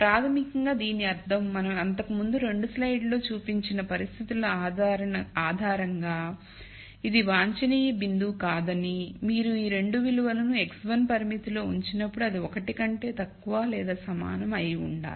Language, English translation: Telugu, Which basically means that this cannot be an optimum point based on the conditions we showed in a couple of slides back, not only that on top of it when you actually put these 2 values into the constraint x 1 is less than equal to 1 it is not satis ed because x 1 is 3